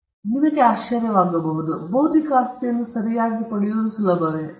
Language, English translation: Kannada, Now, you may be wondering so, is it easy to get an intellectual property right